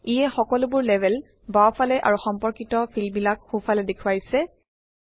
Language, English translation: Assamese, It shows all the labels on the left and corresponding fields on the right